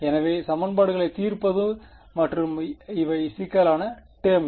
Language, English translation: Tamil, So, solving the equations and these are the problematic terms